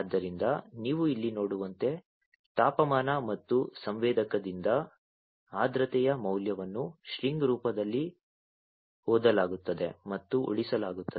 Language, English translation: Kannada, So, as you can see over here the temperature and the humidity value from the sensor will be read and saved in the form of a string, right